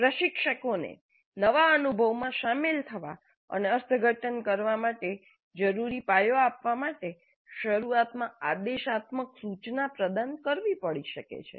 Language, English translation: Gujarati, Instructor may have to provide didactic instruction initially to give the learners the foundation prerequisite knowledge required for them to engage in and interpret the new experience